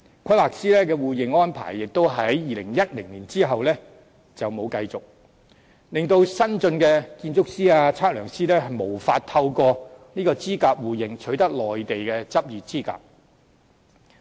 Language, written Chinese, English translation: Cantonese, 規劃師的互認安排亦在2010年後沒有再繼續進行，令新進的建築師、測量師無法透過資格互認取得內地的執業資格。, The arrangement for mutual recognition of qualifications of surveyors was also discontinued since 2010 . As a result new architects and surveyors are unable to obtain the qualification required in the Mainland through mutual recognition of qualifications